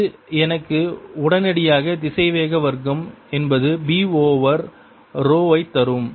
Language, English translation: Tamil, this immediately gives me that velocity square is b over row